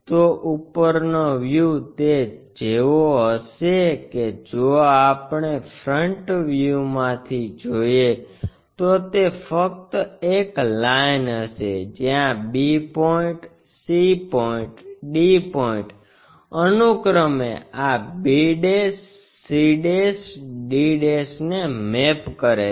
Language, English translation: Gujarati, So, top view it will be like that if we are looking from front view it will be just a line where b point, c point, d points mapped to this b', c', d' respectively